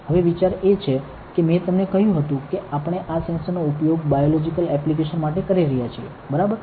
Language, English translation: Gujarati, Now, the idea is that I have told you that we are using these sensors for biological applications, right